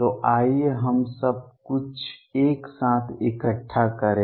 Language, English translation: Hindi, So, let us collect everything together